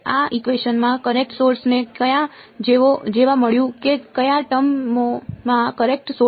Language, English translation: Gujarati, In these equations where did the current source find an appearance which of the terms contains the current source